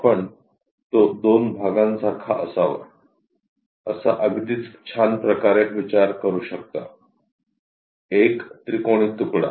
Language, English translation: Marathi, You can think of it like two portions in a very nice way, a triangular piece